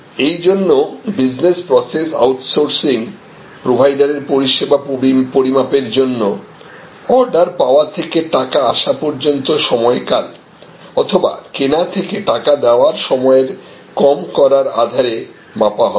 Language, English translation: Bengali, So, the kind of business process outsourcing service providers their services will be measured on the basis of reduction of order to cash cycle or purchase to pay cycle and so on